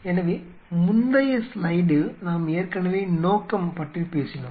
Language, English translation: Tamil, So, we have already talked about the purpose in the previous slide